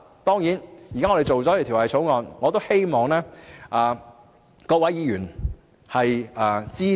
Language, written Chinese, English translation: Cantonese, 當然，現時我們草擬了《條例草案》，我亦希望各位議員會支持。, That said as the Bill is now drafted I still hope that Members will support it